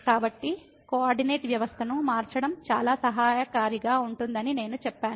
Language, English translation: Telugu, So, that that is what I said that thus changing the coordinate system is very helpful